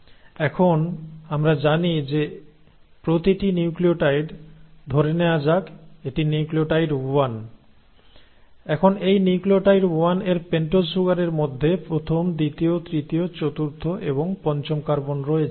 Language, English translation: Bengali, Now we know that each nucleotide, so let us say this is nucleotide 1; now this nucleotide 1 in its pentose sugar has the first, the second, the third, the fourth and the fifth carbon